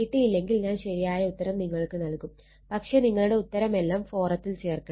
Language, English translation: Malayalam, I will give you the correct answer, but put everything in the forum